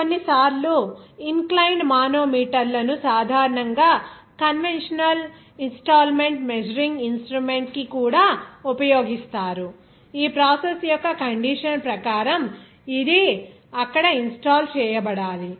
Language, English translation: Telugu, Sometimes inclined manometers are also used to the generally conventional installment of pressure measuring instrument as per the condition of that process where have to be installed there